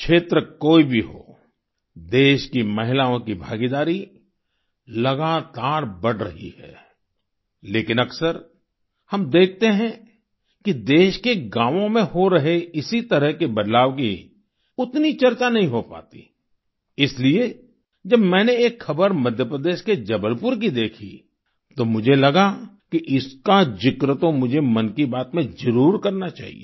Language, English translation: Hindi, Whatever be the area, the participation of the women of the country is continuously on the rise, but, often we see that, there is not much discussion of similar changes occurring in the villages of the country, so, when I got this news from Jabalpur in Madhya Pradesh, I felt that I must make a mention of it in 'Mann Ki Baat'